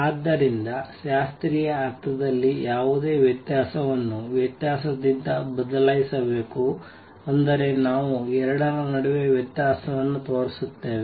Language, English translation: Kannada, So, any differentiation in classical sense must be replaced by difference that is how we distinguish between the 2